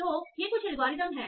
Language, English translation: Hindi, So now, so these are some algorithms